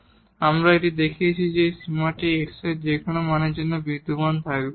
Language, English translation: Bengali, So, we have this showing that these limits exist for whatever for any value of x